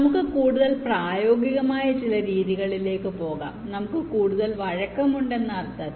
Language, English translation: Malayalam, ok, now let us move into some methods which are little more practical in the sense that we have lot more flexibility here